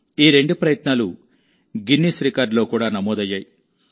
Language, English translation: Telugu, Both these efforts have also been recorded in the Guinness Records